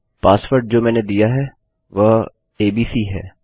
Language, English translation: Hindi, Say the password is abc